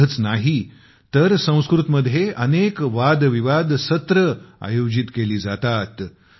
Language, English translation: Marathi, Not only this, many debate sessions are also organised in Sanskrit